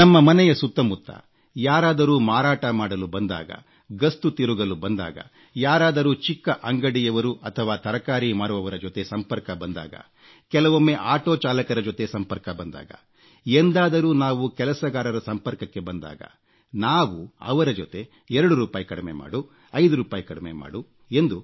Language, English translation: Kannada, Don't you feel that whenever a vendor comes to your door to sell something, on his rounds, when we come into contact with small shopkeepers, vegetable sellers, auto rickshaw drivers in fact any person who earns through sheer hard work we start bargaining with him, haggling with him "No not so much, make it two rupees less, five rupees less